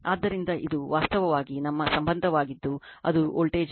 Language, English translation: Kannada, So, this is actually our relationship that is line to voltage